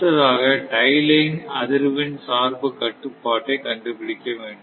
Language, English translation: Tamil, Now, another next is the tie line frequency bias control, right